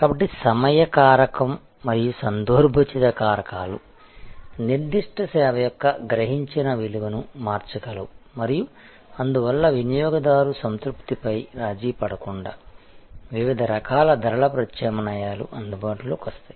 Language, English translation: Telugu, So, the time factor and the contextual factors can change the perceived value of a particular service and therefore, different sort of pricing alternatives can become available without compromising on customer satisfaction